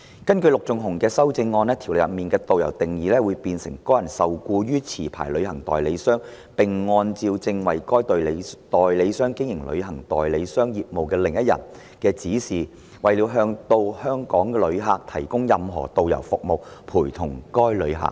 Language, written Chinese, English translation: Cantonese, 根據其修正案，《條例草案》中的"導遊"定義會變成"該人受僱於持牌旅行代理商，並按照正在為該代理商經營旅行代理商業務的另一人......的指示，為了向到港旅客提供任何導遊服務，陪同該旅客。, In his amendment the definition of a tourist guide in the Bill is changed to the person is employed by a licensed travel agent and accompanies a visitor to Hong Kong for the purpose of providing any guiding service to the visitor in accordance with the directions of another person who is carrying on the business of the travel agent